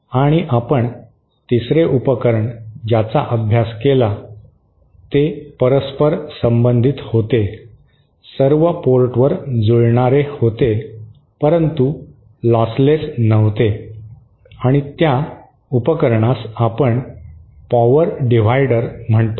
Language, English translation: Marathi, And the 3rd device that we studied was reciprocal, matched at all ports but not lossless, and that device we call it as power dividers